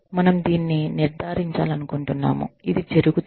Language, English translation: Telugu, We want to ensure that, this happens